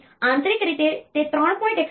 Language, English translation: Gujarati, So, internally it is 3